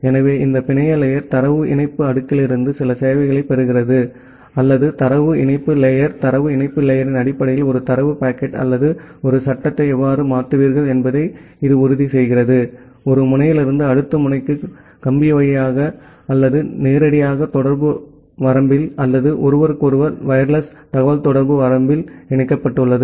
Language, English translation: Tamil, So, this network layer as we discussed earlier that from data link layer it gets certain services, or the data link layer it ensures that well how will you transfer a data packet or a frame in the terms of data link layer; from one node to the next node which is directly connected via wire or there in the communication range or wireless communication range of each other